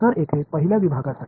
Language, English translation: Marathi, So, for the first segment over here